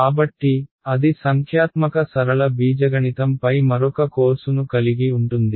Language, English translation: Telugu, So, that involves another course on numerical linear algebra